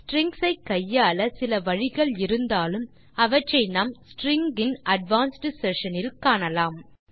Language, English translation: Tamil, Although there are some methods which let us manipulate strings, we will look at them in the advanced session on strings